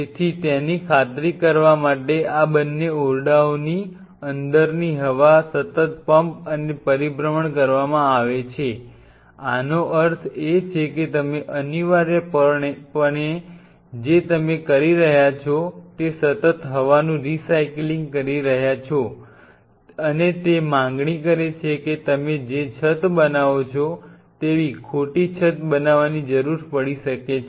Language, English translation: Gujarati, So, to ensure that the air inside both these rooms are being continuously pumped out and circulated; that means, what you are essentially doing is you are continuously recycling the air and that made demand that the roof what you make you may need to make the roof of false roof